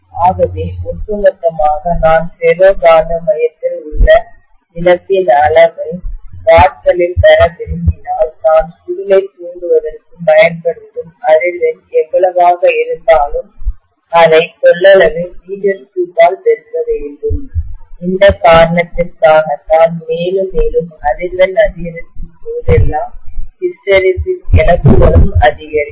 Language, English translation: Tamil, So if I want the overall you know the total amount of loss in watts in a ferromagnetic core, I have to multiply that by whatever is the frequency with which I am exciting the coil and I also have to multiply that by the volume in metre cube, that is the reason why hysteresis losses would increase as I increase the frequency further and further, right